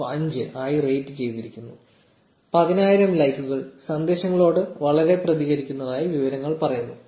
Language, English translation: Malayalam, 9 on 5, close to 10000 likes; the descriptions says it is very responsive to messages